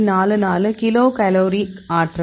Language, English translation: Tamil, 44 kilocal per mol